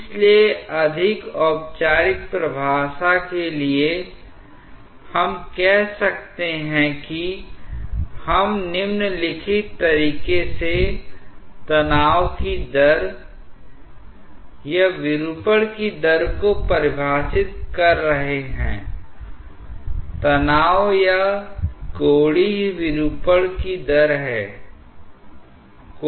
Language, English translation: Hindi, So, to have a more formal definition, we may say that we are defining the rate of strain or the rate of deformation in the following way; rate of strain or angular deformation